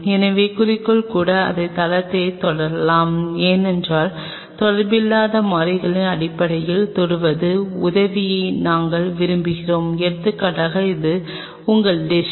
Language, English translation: Tamil, So, even objective can touch the base of it, because touching the base of the sample which is not in contact we want help very simply say for example, this is your dish